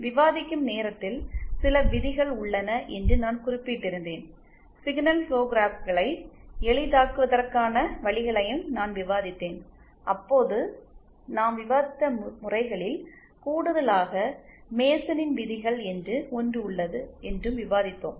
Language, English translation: Tamil, At the time of discussing I had mentioned that there are some rules, I had also discussed the ways of simplifying the signal flow graphs and in addition to the methods that we had discussed then, there is also something called MasonÕs rules